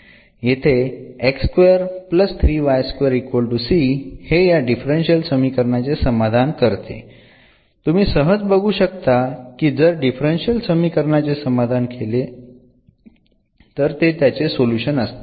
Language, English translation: Marathi, This satisfies this differential equation, so if you satisfies the differential equation, then is solution so which we can easily see